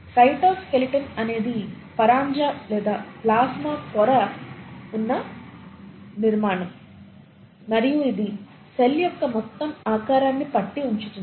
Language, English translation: Telugu, The cytoskeleton is the scaffold or the structure on which the plasma membrane rests and it holds the entire shape of the cell together